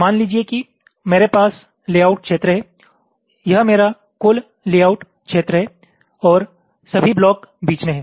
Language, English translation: Hindi, suppose i have the layout area, this is my total layout area, and all the blocks are in between